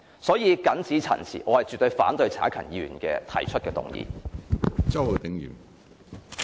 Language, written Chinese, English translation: Cantonese, 我謹此陳辭，絕對反對陳克勤議員提出的議案。, I so submit and absolutely oppose the motion proposed by Mr CHAN Hak - kan